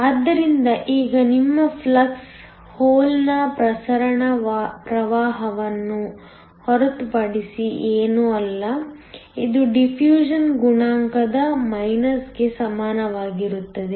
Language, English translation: Kannada, So, now your flux is nothing but the hole diffusion current, which is equal to minus of a diffusion coefficient